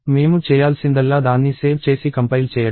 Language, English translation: Telugu, All I have to do is save it and compile it